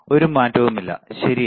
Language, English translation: Malayalam, There is no change, right